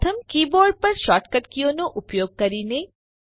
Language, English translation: Gujarati, First is using the shortcut keys on the keyboard